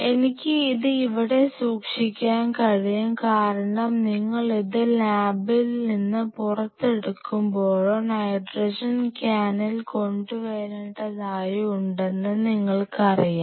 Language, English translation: Malayalam, I can keep it here because every time you have to pull this out of the lab or you have to bring the nitrogen can and you know refill that